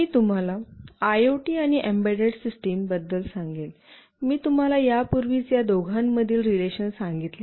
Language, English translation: Marathi, Let me tell you about IoT and embedded system, I have already told you the relation between the two